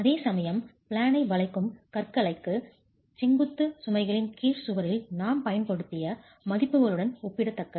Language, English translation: Tamil, Whereas for beams for in plane bending, the values are comparable to what we have been using for the wall under vertical loads itself